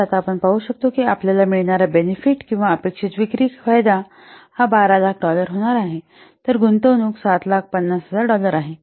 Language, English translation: Marathi, So now we can see that the benefit that we will get is or the expected sales, the benefit is coming to be $12,000 whereas the investment is $7,000 dollar